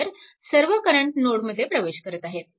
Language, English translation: Marathi, So, all current are entering into the node right